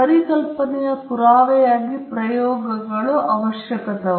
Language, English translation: Kannada, Experiments are necessary also as proof of concept